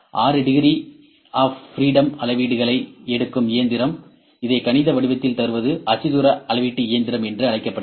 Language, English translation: Tamil, The machine which take readings in 6 degrees of freedom, and this place these reading in mathematical form is known as coordinate measuring machine